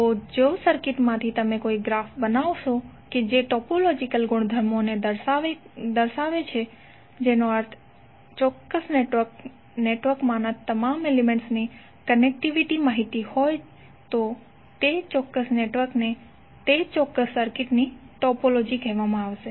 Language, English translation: Gujarati, So from the circuit if you create a graph which describe the topological property that means the connectivity information of all the elements in a particular network, then that particular network will be the topology of that particular circuit